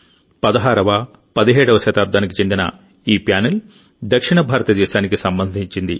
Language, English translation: Telugu, This panel of 16th17th century is associated with South India